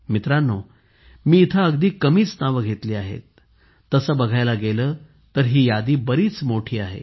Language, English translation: Marathi, Friends, I have mentioned just a few names here, whereas, if you see, this list is very long